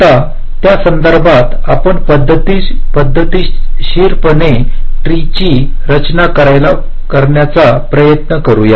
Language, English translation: Marathi, now, with respect to that, let us try to systematically construct a tree